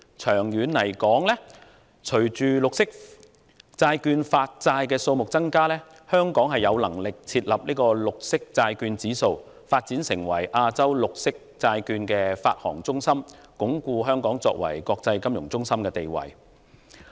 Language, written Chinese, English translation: Cantonese, 長遠而言，隨着綠色債券的發債數目增加，香港便有能力設立"綠色債券指數"，繼而發展成為亞洲綠色債券發行中心，進一步鞏固香港作為國際金融中心的地位。, In the long run with an increase in the number of green bonds issued Hong Kong will be able to set up a green bond index and then establish itself as a green bond issuance centre in Asia so as to further consolidate its position as an international financial centre